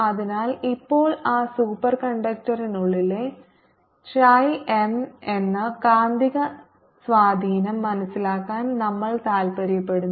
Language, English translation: Malayalam, so now we are interested to know the value of magnetic susceptibility, chi, m, inside that superconductor